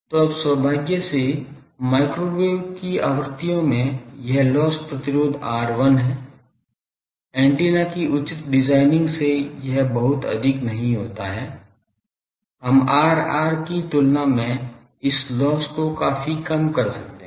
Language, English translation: Hindi, So, now fortunately at microwave frequencies this loss resistance R l, this is not very high by proper designing of antenna, we can make this loss quite low compared to R r